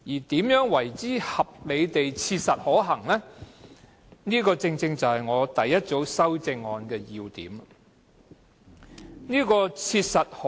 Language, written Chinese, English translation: Cantonese, 至於何謂合理地切實可行，正是我第一組修正案的要點所在。, As regards what is meant by reasonably practicable my first group of amendments actually addresses this issue